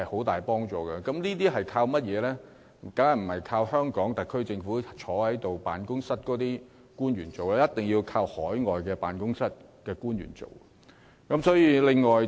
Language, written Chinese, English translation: Cantonese, 當然不是倚靠坐在特區政府辦公室的官員進行，而一定有賴海外經貿辦人員從中協助。, Not the government officials seated in the offices of the government headquarters naturally . We must instead count on the assistance of those working in overseas ETOs